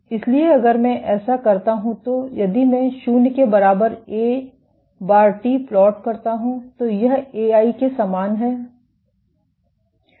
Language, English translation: Hindi, So, if I do this then an if I plot A bar at t equal to 0 A f t is same as A i